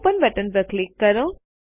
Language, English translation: Gujarati, Click on the Open button